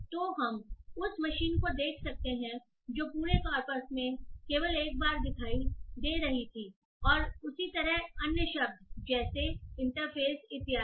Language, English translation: Hindi, So we can see that machine which is appearing only once in the entire corpus is removed and similarly other words like interface etc